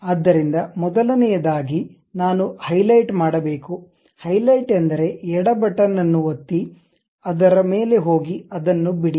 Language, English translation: Kannada, So, first of all I have to highlight; highlight means click the left button, go over that hold and leave it